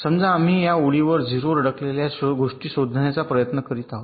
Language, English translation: Marathi, suppose we are trying to find out ah stuck at zero on this line